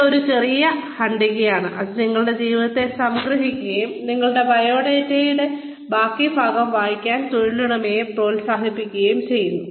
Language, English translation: Malayalam, It is a short paragraph, that summarizes your life, and persuades the employer, to read the rest of your resume